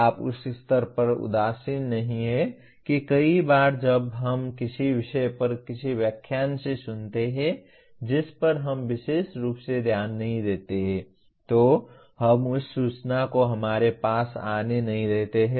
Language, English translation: Hindi, You are not indifferent at that stage that many times when we listen to some topic in a lecture that we do not particularly care about, we do not let that information even get into us